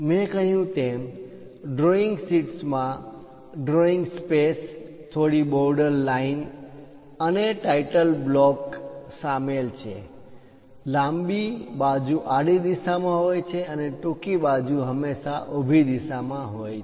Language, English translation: Gujarati, As I mentioned, drawing sheet involves a drawing space, few border lines, and a title block; longer side always be in horizontal direction, shorter side always be in the vertical direction